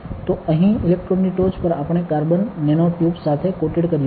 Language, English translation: Gujarati, So, on top of the electrode here; on top of the electrodes we have coated with carbon nanotubes